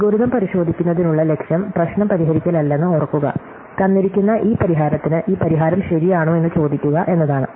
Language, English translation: Malayalam, Remember the goal over checking algorithm is not to solve the problem, it is to ask whether this given solution is correct for this given instance